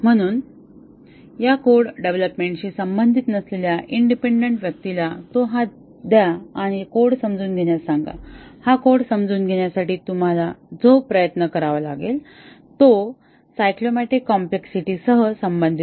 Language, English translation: Marathi, So, given independent person who is not associated with this code development give it to him and ask him to understand the code, the effort that you would have to put to understand this code would co relate with the cyclomatic complexity